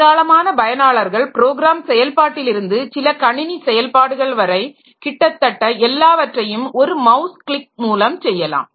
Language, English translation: Tamil, Many user program execution to some system operation to everything, almost everything can be done by means of mouse clicks